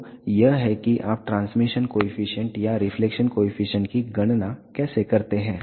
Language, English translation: Hindi, So, this is how you calculate the transmission coefficient and reflection coefficient